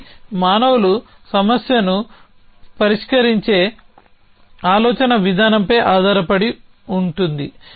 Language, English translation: Telugu, It was based on the way thought human beings solve problem